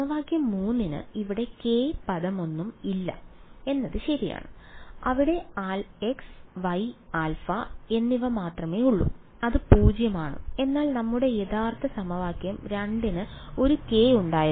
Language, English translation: Malayalam, Equation 3 did not have any k term over here correct there is there is only x y and alpha which is 0, but our original equation 2 had a k